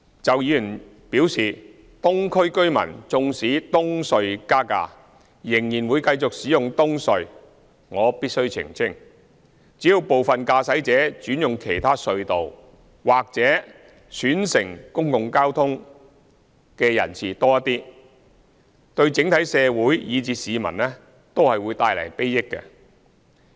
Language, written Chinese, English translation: Cantonese, 就議員表示，東區居民縱使東隧加價仍然會繼續使用東隧，我必須澄清，只要部分駕駛者轉用其他隧道，或選乘公共交通的人士多一些，對整體社會以至市民都會帶來裨益。, As for Members remark that residents of the Eastern District will continue to use EHC despite EHC toll increases I must clarify that as long as some motorists switch to other RHC or more people choose to use public transport society as a whole and individuals will benefit